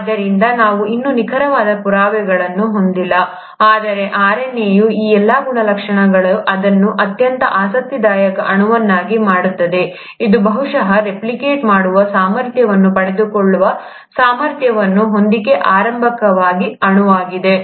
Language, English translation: Kannada, So we still don’t have concrete proof, but all these properties of RNA make it a very interesting molecule for it to be probably the earliest molecule capable of acquiring the ability to replicate